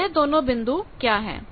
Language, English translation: Hindi, So, what is these 2 points